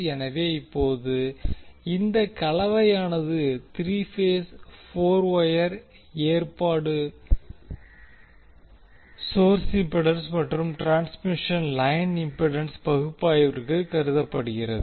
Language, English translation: Tamil, So now you can see this particular combination is three phase four wire arrangement were the source impedance as well as the transmission line impedance is considered for the analysis